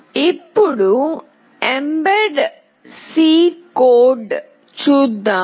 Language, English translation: Telugu, Now, let us see the mbed C code